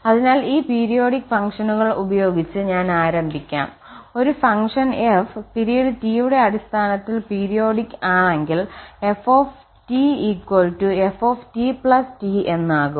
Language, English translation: Malayalam, So, let me start with this periodic functions, so if a function f is periodic with period this T then the ft the function value at t must be equal to the function value at t plus this T